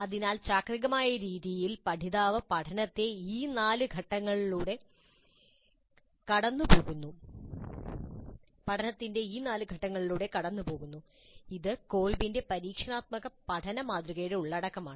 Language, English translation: Malayalam, So in a cyclic way the learner goes through these four stages of learning and this is the essence of Colbes model of experiential learning